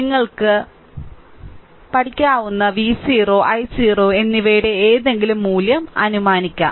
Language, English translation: Malayalam, We may assume any value of V 0 and i 0 that any value of V 0 and i 0, you can assume